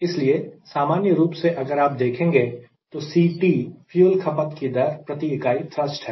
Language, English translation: Hindi, so if i do that, then i write: c is weight of fuel per unit time by thrust